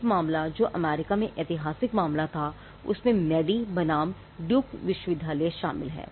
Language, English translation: Hindi, One case which was the landmark case in the US involves Madey versus Duke University